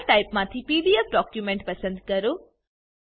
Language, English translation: Gujarati, From File Type , select PDF document